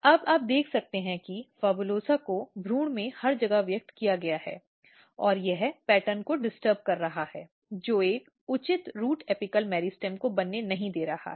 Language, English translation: Hindi, Now, you can see the PHABULOSA is expressed everywhere in the embryo and that is disturbing the pattern that is not allowing a proper root apical meristem to take place